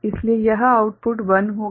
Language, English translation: Hindi, So, this output will be 1